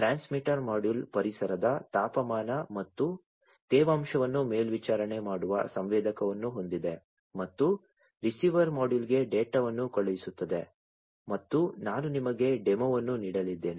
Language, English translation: Kannada, So, the transmitter module has the sensor that monitors the temperature and humidity of the environment and sends the data to the receiver module and this is what I am going to give you a demo of